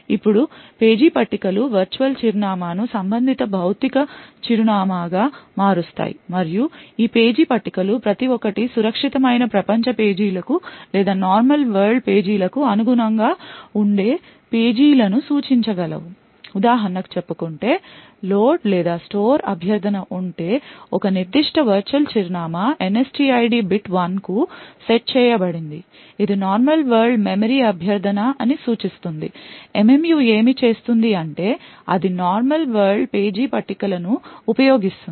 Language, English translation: Telugu, Now the page tables convert the virtual address to corresponding physical address and each of this page tables would thus be able to point to pages which correspond to secure world pages or the normal world pages so for example if there is a say load or store request to a particular virtual address the NSTID bit is set to 1 which would indicate that it is a normal world memory request, what the MMU would do is that it would use the normal world page tables